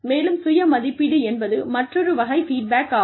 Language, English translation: Tamil, And, self appraisal is, another type of feedback